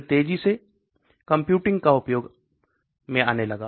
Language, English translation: Hindi, Then again fast computing started coming into use